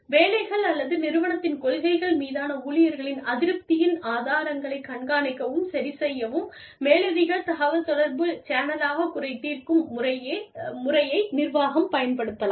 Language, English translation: Tamil, Management can use, the grievance procedure, as an upward communications channel, to monitor and correct, the sources of employee dissatisfaction, with jobs or company policies